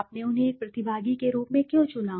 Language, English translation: Hindi, Why did you select them as a participant